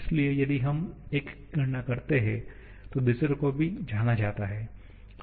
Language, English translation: Hindi, So, if we calculate one, the other is also known